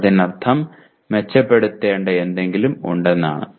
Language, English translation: Malayalam, That means there is something that needs to be improved